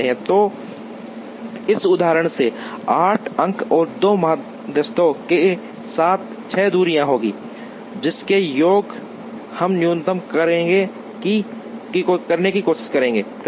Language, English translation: Hindi, So, in this example with 8 points and 2 medians, there will be 6 distances whose, sum we try to minimize